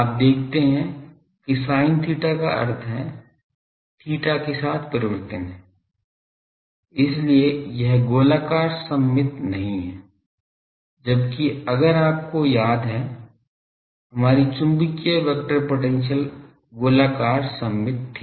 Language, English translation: Hindi, You see sin theta means that has a theta variation, so it is not spherically symmetric, whereas if you recall that our magnetic vector potential was spherically symmetric